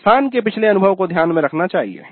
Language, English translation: Hindi, The past experience of the institute needs to be taken into account